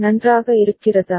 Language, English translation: Tamil, Is it fine